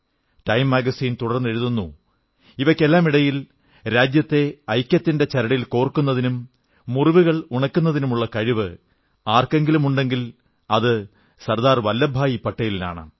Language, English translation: Malayalam, The magazine further observed that amidst that plethora of problems, if there was anyone who possessed the capability to unite the country and heal wounds, it was SardarVallabhbhai Patel